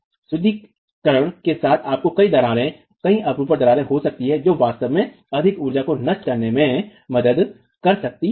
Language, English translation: Hindi, With reinforcement you can have multiple cracks, multiple shear cracks that can actually help dissipate more energy